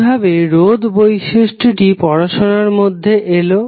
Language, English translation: Bengali, Now, how the resistance property came into the literature